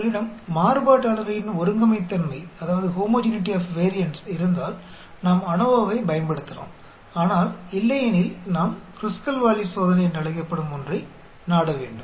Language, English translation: Tamil, If you have the homogeneity of variance we can use ANOVA, but otherwise then we need to resort to something called Kruskal Wallis test